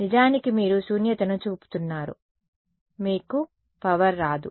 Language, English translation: Telugu, In fact, you are pointing a null you will get no power